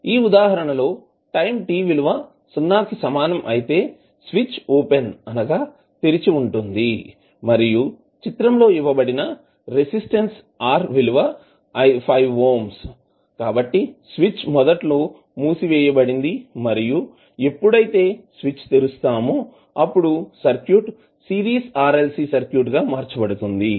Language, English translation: Telugu, In this example the switch is open at time t is equal to 0 and the resistance R which is given in the figure is 5 ohm, so what happens the switch is initially closed and when it is opened the circuit is converted into Series RLC Circuit